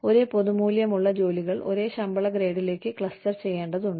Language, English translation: Malayalam, Jobs of the same general value, need to be clustered, into the same pay grade